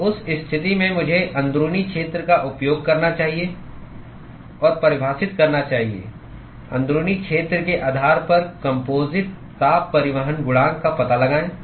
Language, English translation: Hindi, So, in that case I should use the inside area and define find out the overall heat transport coefficient based on the inside area